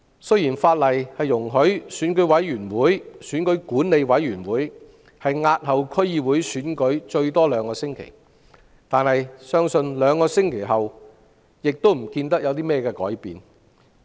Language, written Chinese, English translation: Cantonese, 雖然法例容許選舉管理委員會押後區議會選舉最多兩星期，但相信兩星期後亦不會有任何改變。, Although the law allows the Electoral Affairs Commission to postpone a DC election for up to two weeks it is believed that there will not be any changes after two weeks